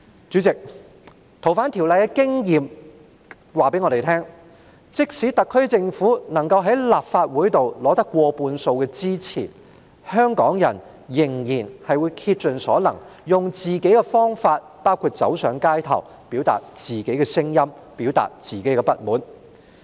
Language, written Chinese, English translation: Cantonese, 主席，《逃犯條例》的經驗告訴我們，即使政府能夠在立法會取得過半數支持，香港人仍然會竭盡所能，用自己的方法，包括走上街頭，表達自己的聲音和不滿。, Chairman the experience of FOO reveals to us that even if the Government manages to secure more than half of the votes in the Legislative Council Hongkongers would still exert their best to express their voices and dissatisfaction in their own way including taking to the streets